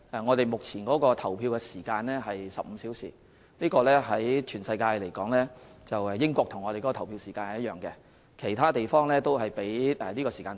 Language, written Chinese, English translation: Cantonese, 我們目前的投票時間為15小時，全世界只有英國與我們的投票時間一樣，其他地方的投票時間都較短。, Our existing polling hours are 15 hours . In the world only the United Kingdom has the same polling hours as we do while the polling hours in other places are shorter